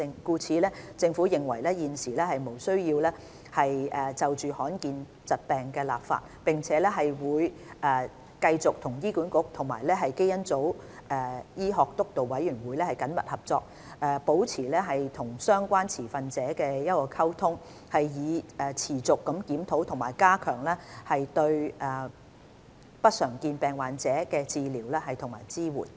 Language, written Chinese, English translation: Cantonese, 故此，政府認為現時無須就罕見疾病立法，並會繼續和醫管局及基因組醫學督導委員會緊密合作，保持與相關持份者的溝通，以持續檢討和加強對不常見疾病患者的治療和支援。, Therefore the Government considers it unnecessary to enact legislation with regard to uncommon disorders . It will continue working closely with HA and the Steering Committee on Genomic Medicine maintaining communications with stakeholders concerned so as to continue reviewing and strengthening the treatment and support for patients with uncommon disorders